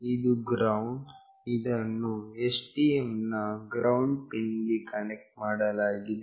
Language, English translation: Kannada, This is the GND, which is connected to ground pin of STM